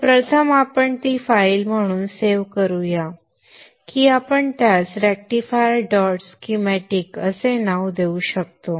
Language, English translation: Marathi, So first let us save it as a file that we can name it as rectifier